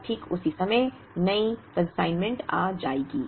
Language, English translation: Hindi, And exactly at that time, the new consignment will arrive